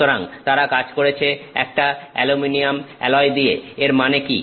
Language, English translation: Bengali, So, they have worked with an aluminum alloy which means what